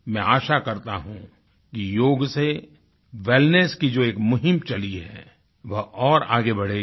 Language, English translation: Hindi, I hope the campaign of wellness through yoga will gain further momentum